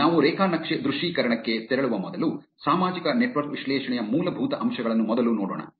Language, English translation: Kannada, Before we move on to graph visualization, let us first look at the basics of social network analysis